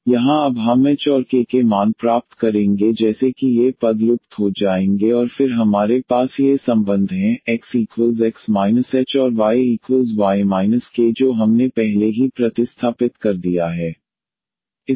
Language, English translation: Hindi, So, here we will get now the values of h and k such that these terms will vanish and then we have these relations, already which we have substituted